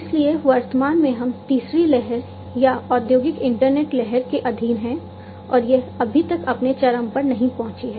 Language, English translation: Hindi, So, currently we are under the third wave or the industrial internet wave and it has not yet reached its peak